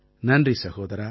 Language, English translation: Tamil, Thank you brother